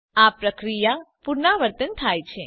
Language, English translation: Gujarati, This process is repeated